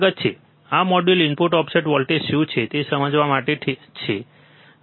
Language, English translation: Gujarati, Welcome, this module is for understanding what is input offset voltage, alright